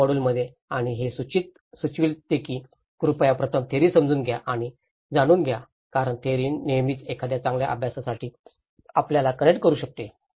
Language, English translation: Marathi, In the first module and this recommends, please understand and know the theory first, that will because theory always can connect you to for a better practice